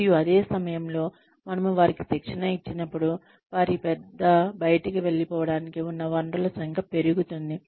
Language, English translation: Telugu, And, but at the same time, when we train them, the number of resources they have, at their disposal increases